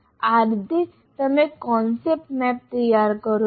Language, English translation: Gujarati, That's how you prepare the concept map